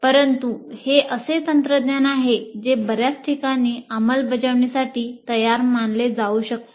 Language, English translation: Marathi, But let us say these are the technologies that can be considered for ready implementation in many places